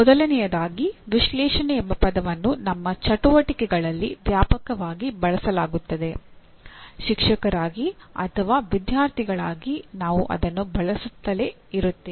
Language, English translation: Kannada, First thing is the word analyze is extensively used during our activities; as teachers as students we keep using it